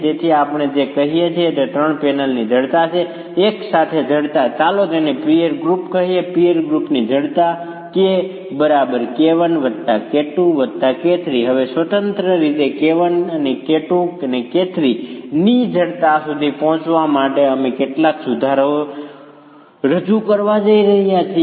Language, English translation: Gujarati, So, what we are saying is the stiffness of the three panels, stiffness together, let's call it the peer group, the stiffness of the peer group K1 plus 2 plus 2 plus the stiffness of K1 plus stiffness of K2 plus stiffness of K3